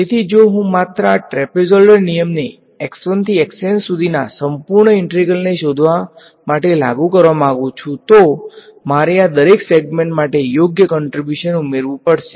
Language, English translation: Gujarati, So, if I want to just apply this trapezoidal rule to find out the whole integral from x 1 to x n, I just have to add the contribution for each of these segments correct